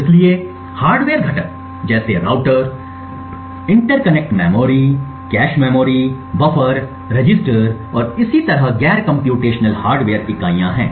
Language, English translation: Hindi, So, hardware components such as routers, interconnects memory, cache memories, buffers, registers and so on are non computational hardware entities